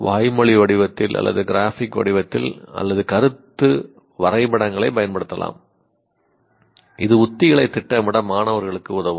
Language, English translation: Tamil, Either in verbal form or graphic form or use concept maps, any of those things can, anything that makes it helps students to plan strategies will do